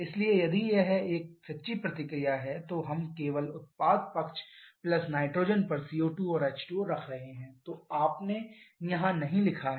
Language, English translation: Hindi, So, if it is a true reaction so we shall be having CO2 and H2O only on the product side plus nitrous which you have not written here